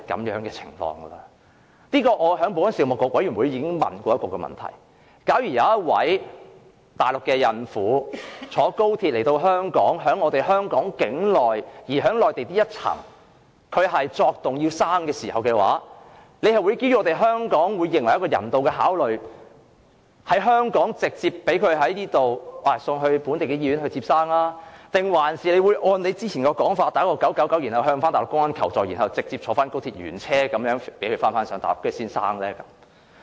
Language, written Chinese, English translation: Cantonese, 我曾在保安事務委員會會議上詢問，假如有一名內地孕婦乘坐高鐵來港，在香港境內的內地口岸區作動需要分娩，屆時會基於香港的人道考慮把她直接送往本地醫院生產，還是按之前的說法撥打999向內地公安求助，然後讓她原車乘高鐵返回內地生產？, I have asked at meetings of the Panel on Security that if a pregnant Mainland woman travel to Hong Kong by XRL and is in labour on arriving at the Mainland Port Area within Hong Kong will she be sent directly on humanitarian grounds to a local hospital for delivery? . Or will the agreed arrangement be followed to dial 999 and ask for assistance from the Mainland public security authorities so that she will be sent back to the Mainland on the same XRL train for delivery?